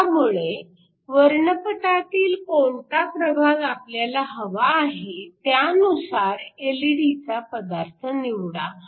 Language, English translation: Marathi, So, depending upon which region in this spectrum you want, you choose the corresponding LED material